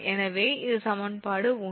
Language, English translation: Tamil, So, this will be 1